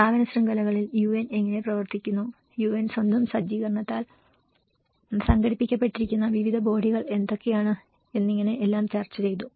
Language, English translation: Malayalam, In the institutional networks, how UN functions, what are the various bodies within which the UN is organized by its own setup